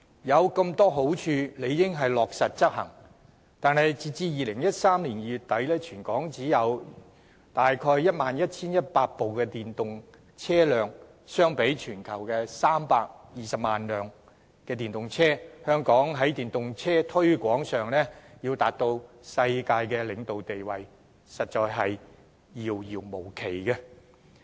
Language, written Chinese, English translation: Cantonese, 有如此多好處，理應落實執行，但截至2018年2月底，全港只有約 11,100 部電動車輛，相比全球320萬輛電動車，香港要在電動車推廣上達到世界領導地位，實在是遙遙無期。, With so many advantages actions should in fact be taken to implement the relevant initiatives but as at end of February 2018 there were only some 11 100 EVs in Hong Kong and as compared to the global number of 3.2 million EVs there is still a very long way to go for Hong Kong to establish its world - leading position in promoting EVs